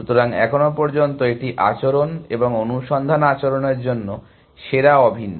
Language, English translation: Bengali, So, so far it is behavior and the best for search behavior is identical